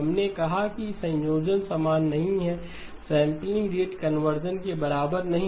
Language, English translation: Hindi, We said that this combination is not equal to, not equal to sampling rate conversion in the other direction